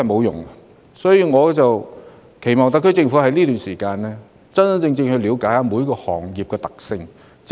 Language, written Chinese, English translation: Cantonese, 因此，我期望特區政府能在這段期間，認真了解每個行業的處境。, Therefore I hope the SAR Government will seriously seek an understanding of the actual situation of each trade during this period